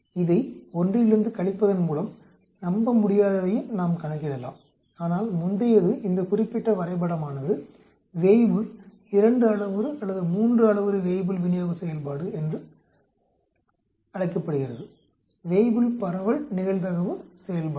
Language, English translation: Tamil, We can also calculate unreliable by subtracting this from 1 whereas the previous one this particular graph is called the Weibull 2 parameter or 3 parameter Weibull distribution function, Weibull distribution probability function